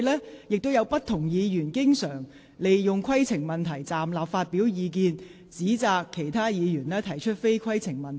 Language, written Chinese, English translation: Cantonese, 過往亦有不同議員經常利用提出規程問題，站立發表意見，或指責其他議員提出非規程問題。, There were also past occasions on which different Members frequently raised a point of order rose and expressed their views or accused other Members of raising questions which were not points of order